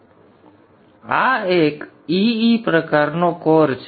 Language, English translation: Gujarati, So this is an EE type of core